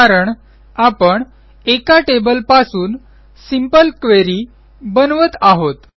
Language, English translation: Marathi, This is because we are creating a simple query from a single table